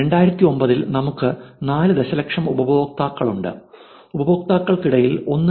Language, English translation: Malayalam, So, this 2009, 54 million users, 1